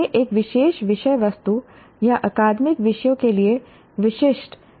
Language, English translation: Hindi, It is specific or germane to a particular subject matter or academic disciplines